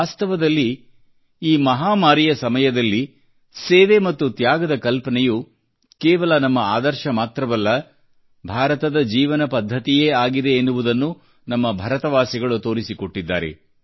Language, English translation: Kannada, In fact, during this pandemic, we, the people of India have visibly proved that the notion of service and sacrifice is not just our ideal; it is a way of life in India